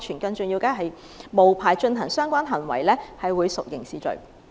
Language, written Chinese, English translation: Cantonese, 更重要的是，無牌進行相關行為屬刑事罪行。, More importantly anyone conducting related procedures without a licence commits a criminal offence